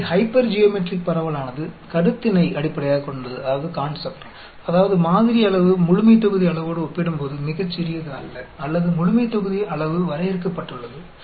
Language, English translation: Tamil, So, the hypergeometric distribution is based on the concept, that is sample size is not very very small when compared to population size, or the population size is finite